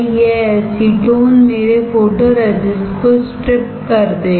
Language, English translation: Hindi, This acetone will strip my photoresist